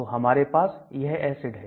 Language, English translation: Hindi, So we have this acid